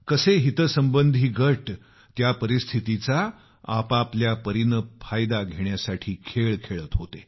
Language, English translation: Marathi, Various interest groups were playing games to take advantage of that situation in their own way